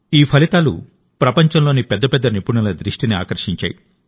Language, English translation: Telugu, These results have attracted the attention of the world's biggest experts